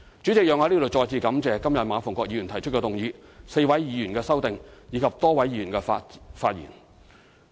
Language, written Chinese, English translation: Cantonese, 主席，讓我在此再次感謝今天馬逢國議員提出的議案、4位議員的修正案，以及多位議員的發言。, President here I would like to thank Mr MA Fung - kwok again for proposing the motion today the four Members who will move an amendment and the Members who have spoken